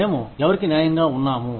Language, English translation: Telugu, Who are we, being fair to